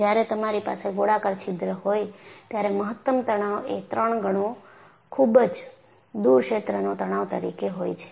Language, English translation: Gujarati, And, you find, when you have a circular hole, the maximum stress is three times the far field stress